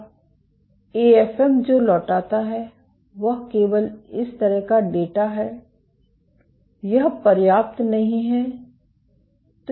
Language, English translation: Hindi, Now, what the AFM returns is just data like this, this is not enough